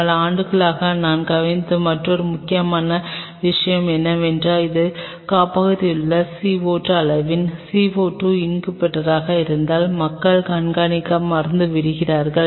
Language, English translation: Tamil, Another important thing what I have observed over the years is people forget to keep track of if it is a CO2 incubator of the amount of CO2 in the incubator